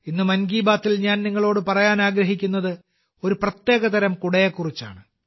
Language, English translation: Malayalam, Today in ‘Mann Ki Baat’, I want to tell you about a special kind of umbrella